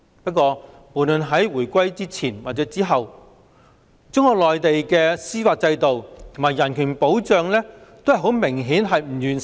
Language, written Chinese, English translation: Cantonese, 不過，無論在回歸前或回歸後，中國內地的司法制度及人權保障均明顯不完善。, However the judicial system and human rights protection of Mainland China have apparently been inadequate before or after the reunification